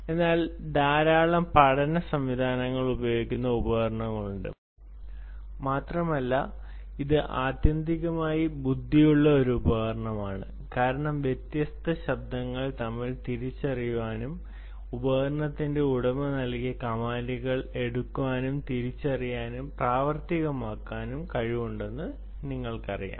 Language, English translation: Malayalam, there is also this thing about such devices which use lot of learning mechanisms behind and it's a very intelligent device ultimately, right, because its able to recognize ah, able to differentiate between different voices and ah, take commands and at able to, hm, you know, carry out the activity, carry out the command that is, ah been issued by the owner of the device